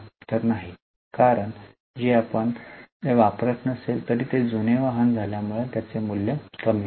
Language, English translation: Marathi, Because just by lapse of time even if we don't use it because it has become older vehicle it loses its value